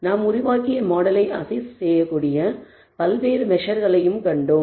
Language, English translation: Tamil, We also saw various measures by which we can assess the model that we built